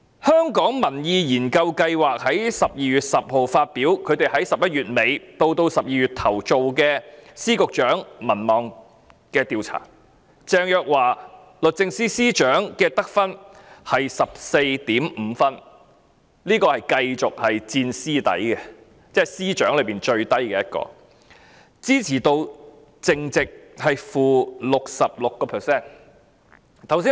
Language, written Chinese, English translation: Cantonese, 香港民意研究所在12月10日發表在11月底至12月初進行對特首及問責司局長民望的調查結果，鄭若驊律政司司長的得分，是 14.5 分，她仍是問責司局長中得分最低，支持度淨值是 -66%。, The Hong Kong Public Opinion Research Institute published on 10 December the results of a survey conducted from late November to early December on the popularity of the Chief Executive Secretaries of Departments and Directors of Bureaux . The rating of Secretary for Justice Teresa CHENG was 14.5 the lowest among all the Secretaries of Departments and Directors of Bureaux with a net support rate of - 66 %